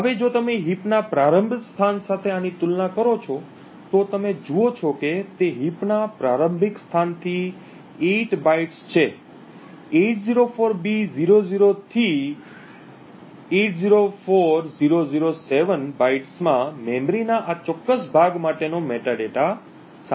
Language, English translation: Gujarati, Now if you compare this with a start location of heap, you see that it is 8 bytes from the starting location of the heap, the bytes 804b000 to 804007 contains the metadata for this particular chunk of memory